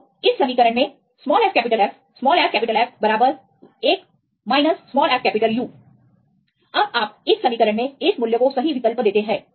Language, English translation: Hindi, So, fF equal to from this equation right, fF equal to one minus fU now you substitute this value right in this equation